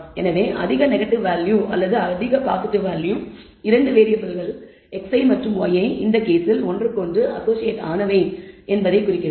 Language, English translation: Tamil, So, the high negative value or high positive value indicates that the 2 variables x and y in this case are associated with each other